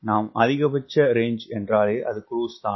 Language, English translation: Tamil, when i am talking about range maximum i am talking about cruise